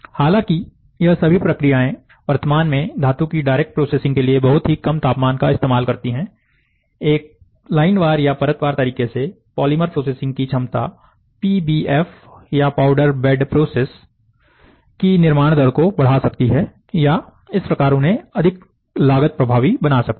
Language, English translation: Hindi, All though these processes currently used to low of temperature to a process metal directly, the potential for polymer processing in a line wise or a layer wise manner could increase the build rate of PBF, or, powder bed process, thus making them more cost effective